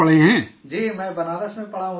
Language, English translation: Urdu, Yes, I have studied in Banaras, Sir